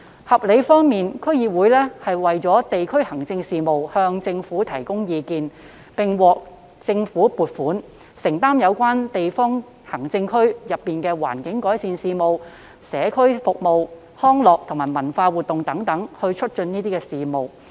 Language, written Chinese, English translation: Cantonese, 合理方面，區議會就地區行政事務向政府提供意見，並獲政府撥款，承擔有關區內促進環境改善、社區服務和康樂及文化活動等事務。, The Bill is reasonable . DCs are obliged to advise the Government on district administration matters . They are funded by the Government to take care of local matters such as promoting environmental improvement community services recreational and cultural activities etc